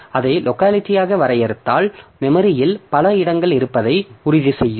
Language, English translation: Tamil, So, if you define that as the locality, then I should have so many locations in the memory